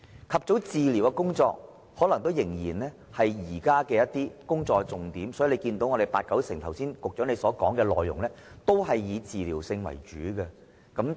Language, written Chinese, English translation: Cantonese, "及早治療"可能仍是現時工作的重點，因此，到局長剛才的發言，內容十居其九都是以治療為主的工作。, I would think that early treatment may still be the focus of work at the moment so the Secretarys reply just now was mostly about treatment - related efforts